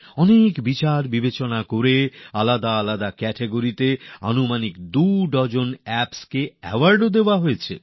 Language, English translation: Bengali, After a lot of scrutiny, awards have been given to around two dozen Apps in different categories